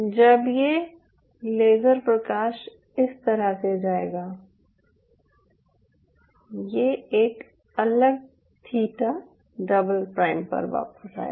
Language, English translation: Hindi, it will bounce back at a different theta double prime